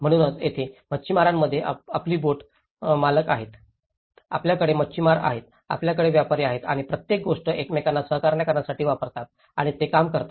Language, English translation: Marathi, So, this is where in the fishermen set up, you have the boat owners, you have the fishermen, you have the traders and everything used to cooperate with each other and they use to work